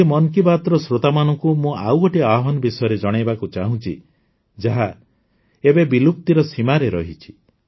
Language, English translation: Odia, Today, I would like to tell the listeners of 'Mann Ki Baat' about another challenge, which is now about to end